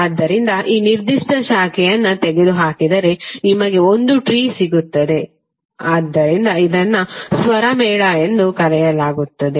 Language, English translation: Kannada, So if you removed this particular branch then you get one tree so this is called chord